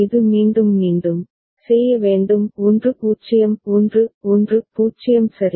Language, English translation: Tamil, It has to do all over again this 1 1 0 right